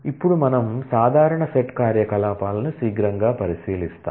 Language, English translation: Telugu, Now, we take a quick look into the common set operations